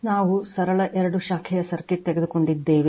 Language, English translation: Kannada, We have taken a simple two branch circuit right